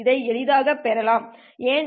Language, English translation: Tamil, And this can be easily obtained